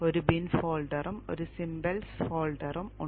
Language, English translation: Malayalam, There is a bin folder and a symbols folder